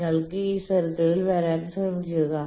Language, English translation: Malayalam, So, you try to come on this circle